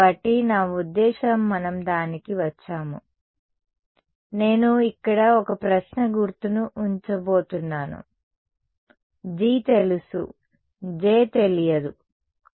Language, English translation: Telugu, So, I mean we have come to that; so, I am going to put a question mark over here G is known J is not known ok